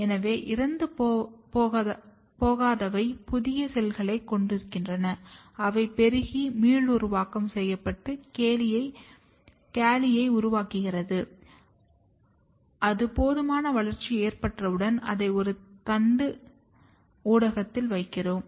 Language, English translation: Tamil, So, those which are not dying they give out new cells and which proliferate and to form a regenerated calli which once it is ready and enough growth has taken place we place it on a shooting media